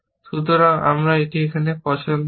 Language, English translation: Bengali, So, I have a choice here